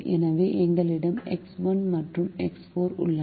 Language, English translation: Tamil, so we have x one and x four